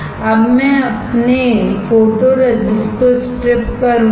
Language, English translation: Hindi, Now I will strip off my photoresist